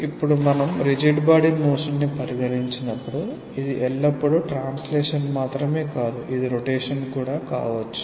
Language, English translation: Telugu, Now when we consider the rigid body motion, it is not always just translation; it may also be rotation